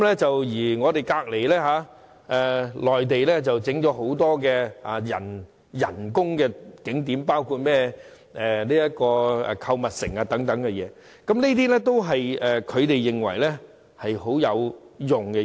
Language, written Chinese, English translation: Cantonese, 至於毗鄰的內地，則興建了很多人工景點，其中包括購物城，而這些都是內地認為很有用的。, Our adjacent Mainland on the other hand has built a number of artificial attractions including shopping malls which are considered very useful by the Mainland